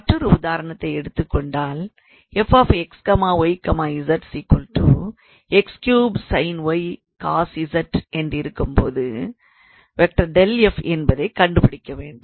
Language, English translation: Tamil, So, we can consider an another example; let us say to find a gradient of f where f x y z is 3 x or let us not have 3 I can consider x cubed sin y cos z